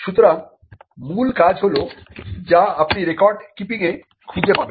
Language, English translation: Bengali, So, the basic function is what you will find in record keeping